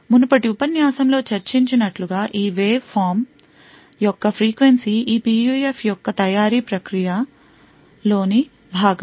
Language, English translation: Telugu, As discussed in the previous lecture the frequency of this waveform is a function of these manufacturing process of this PUF